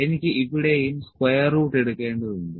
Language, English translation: Malayalam, I need to takes square root here as well